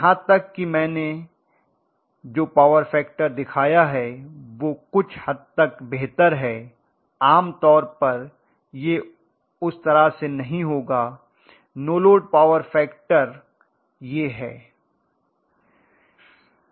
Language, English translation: Hindi, Even the power factor I have shown is somewhat better generally it will not be that way, no load power factor is this, right